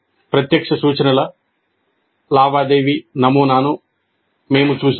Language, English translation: Telugu, We have seen the transaction model of direct instruction